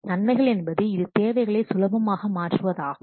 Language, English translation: Tamil, The advantages of that it is easy to change requirements